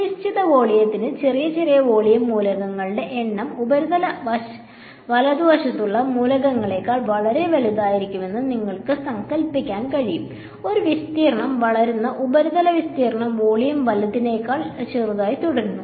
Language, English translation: Malayalam, And you can imagine that for a given volume, the number of small small volume elements will become much larger than the elements that are on the surface right; surface area versus volume which one grows surface remains smaller than volume right